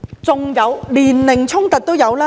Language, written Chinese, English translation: Cantonese, 即使是年齡衝突也有。, There were even age conflicts